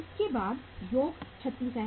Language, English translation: Hindi, Then next is the plus 36